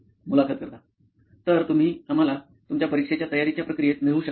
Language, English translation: Marathi, Can you just take us through the process of your preparation for exam